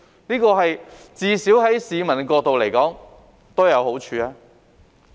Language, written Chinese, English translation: Cantonese, 這至少對市民而言都有好處。, At least this will be beneficial to the public